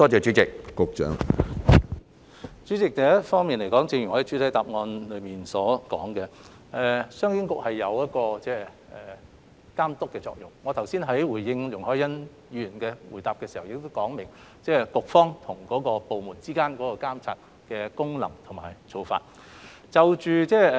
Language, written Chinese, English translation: Cantonese, 主席，首先，一如我在主體答覆所說，商經局所發揮的是監督作用，我剛才答覆容海恩議員所提補充質詢時亦已解釋，局方對部門存在監察的功能和角色。, President first of all as I have said in the main reply CEDB is playing an overseeing role and when replying to Ms YUNG Hoi - yans supplementary question just now I have also explained that the Bureau should perform its supervisory functions and role over the government department in question